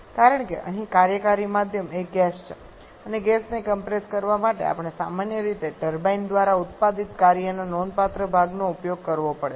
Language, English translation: Gujarati, Because here the working medium is a gas and to compress the gas we generally have to use significant portion of the work produced by the turbine